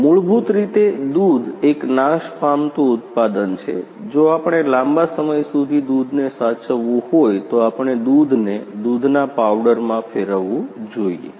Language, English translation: Gujarati, If we want to preserve the milk for a longer time, we should convert the milk into the milk powders